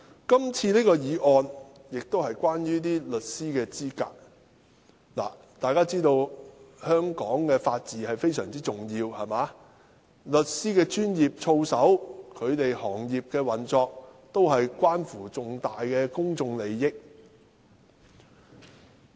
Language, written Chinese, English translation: Cantonese, 今次的《公告》是關於律師資格，大家都知道，法治對香港非常重要，律師的專業操守、行業的運作，都關乎重大公眾利益。, This time the Notice relates to the qualification of solicitors . As we all know the rule by law is crucial to Hong Kong . The professional conducts of solicitors and the operation of the sector involve significant public interests